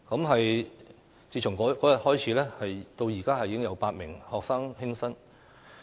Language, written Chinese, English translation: Cantonese, 可是，自那天起，已再有8名學生輕生。, However since the day I said it eight more students had committed suicide